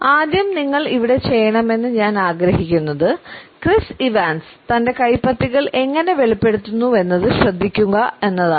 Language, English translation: Malayalam, First thing I want you to do with Chris Evans here is pay attention to how he reveals his palms